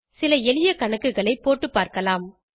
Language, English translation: Tamil, Let us try some simple calculations